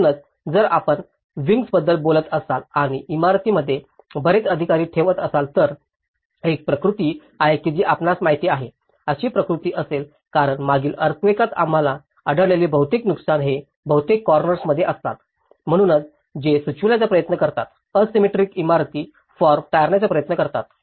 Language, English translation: Marathi, So, obviously if you are talking about wings and keeping many officers in the building's obviously, there is a tendency that you know, there will be tendency, that these corners can break because most of the damages which we have noticed in the past earthquakes, they mostly occur in the corners, so that is where they try to suggest, try to avoid the asymmetrical buildings forms